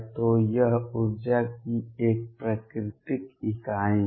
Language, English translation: Hindi, So, this is a natural unit of energy